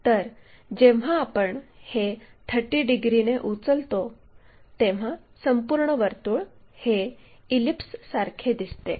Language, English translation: Marathi, So, when we ah lift this by 30 degrees, the complete circle looks like an ellipse, it looks like an ellipse here